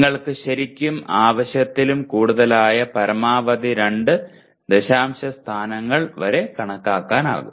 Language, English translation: Malayalam, You can show up to maximum 2 decimal places that is more than enough really